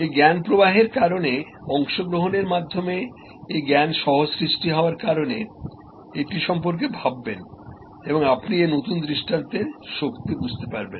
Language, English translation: Bengali, Because of this knowledge flow, because of this knowledge co creation through participation, think about it and you will understand the power of this new paradigm